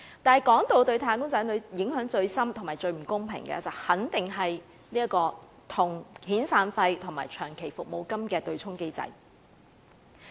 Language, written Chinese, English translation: Cantonese, 但是，說到對"打工仔女"影響最深、最不公平的，肯定是遣散費和長期服務金的對沖機制。, But when it comes to the greatest and most unfair impact on wage earners it is definitely the mechanism of offsetting severance and long service payments